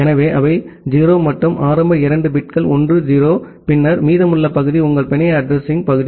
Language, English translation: Tamil, So, they 0’s and the initial two bits are 1 0, then the remaining part your network address part